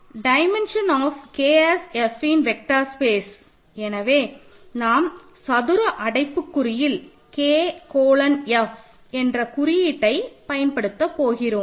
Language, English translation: Tamil, So, dimension of K as an F vector space, so the notation that we will use is K colon F in square brackets